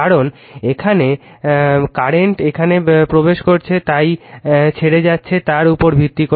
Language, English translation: Bengali, Because current here is entering here it is leaving so, based on that